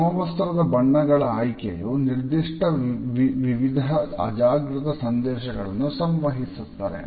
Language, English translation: Kannada, The choice of uniform colors conveys particular sets of subconscious messages